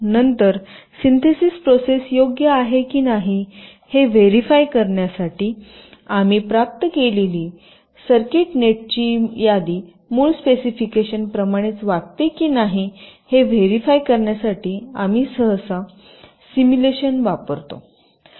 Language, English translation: Marathi, then, in order to verify whether the synthesis process is correct, we usually use simulation to verify that, whether the circuit net list that we have obtained behaves in the same way as for the original specification